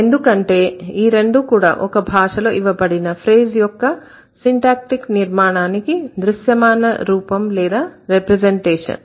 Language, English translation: Telugu, Both of them are the visual representations of the syntactic structure of any given phrase in any of the languages